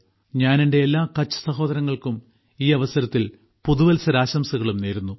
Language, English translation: Malayalam, I also wish Happy New Year to all my Kutchi brothers and sisters